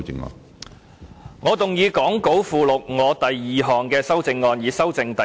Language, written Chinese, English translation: Cantonese, 主席，我動議講稿附錄我的第二項修正案，以修正第2條。, Chairman I move my second amendment to amend clause 2 as set out in the Appendix to the Script